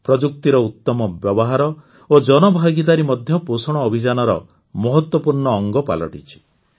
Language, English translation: Odia, Better use of technology and also public participation has become an important part of the Nutrition campaign